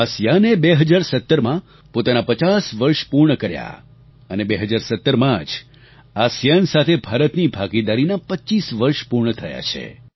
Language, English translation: Gujarati, ASEAN completed its 50 years of formation in 2017 and in 2017 25 years of India's partnership with ASEAN were completed